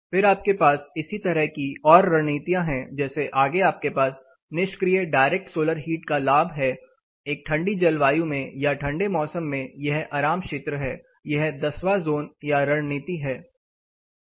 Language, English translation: Hindi, Then you have more strategies like this further down you have passive direct, direct solar heat gain say in a colder climate or in colder season rather this is comfort zone, this is zone 10 or strategy 10